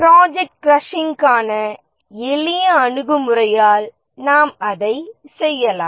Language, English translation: Tamil, You can do that by a simple approach for project crashing